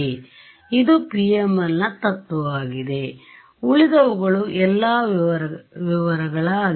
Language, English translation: Kannada, So, this is the principle of PML the rest are all details